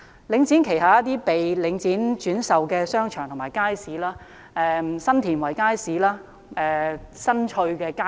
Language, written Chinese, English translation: Cantonese, 領展旗下有一些被轉售的商場及街市，例如新田圍街市、新翠邨街市。, Some of the markets under the Link have been sold for instance the markets at Sun Tin Wai Estate and Sun Chui Estate